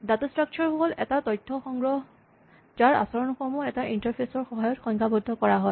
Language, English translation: Assamese, A data structure is basically an organization of information whose behavior is defined through an interface